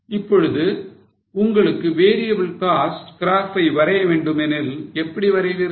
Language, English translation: Tamil, Now, if you want to draw a variable cost graph, how will you draw it